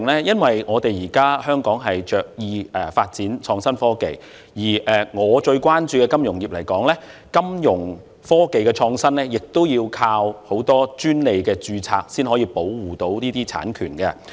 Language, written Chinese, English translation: Cantonese, 因為香港現在着意發展創新科技，以我最關注的金融業來說，金融科技的創新需要靠很多專利註冊來保護這些產權。, It is because Hong Kong is making a conscious effort in developing innovation and technology . For the financial industry which I am most concerned about the innovation of financial technology relies on patent applications to protect the intellectual property rights of the innovations